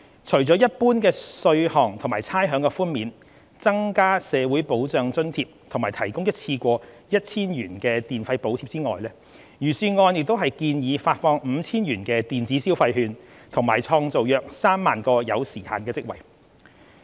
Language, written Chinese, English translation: Cantonese, 除了一般稅項和差餉的寬免、增加社會保障津貼和提供一次過 1,000 元電費補貼外，預算案亦建議發放 5,000 元電子消費券及創造約3萬個有時限職位。, Apart from general measures including tax and rate reductions increasing social security allowance and provision of one - off electricity charges subsidy of 1,000 the Budget also proposed to issue electronic consumption vouchers with a total value of 5,000 and create around 30 000 time - limited job positions